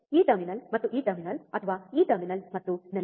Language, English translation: Kannada, This terminal and this terminal or this terminal and ground